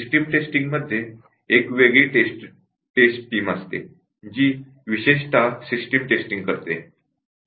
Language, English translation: Marathi, Whereas, in the system testing it is a separate test team w hich typically does the system testing